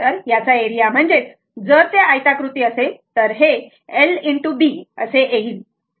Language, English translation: Marathi, So, area of this one right if it is rectangular 1, it is l into b